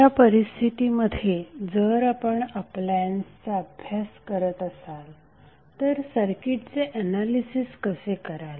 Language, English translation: Marathi, So in that scenario if you are doing the study for appliances, how you will analyze the circuit